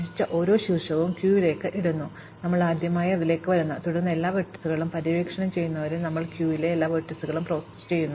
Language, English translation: Malayalam, So, we put each visited vertex into the queue, the first time we come to it, and then we process all the vertices in the queue, until all vertices have been explored